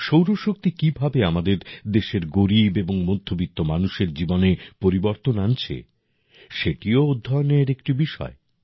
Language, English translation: Bengali, How solar energy is changing the lives of the poor and middle class of our country is also a subject of study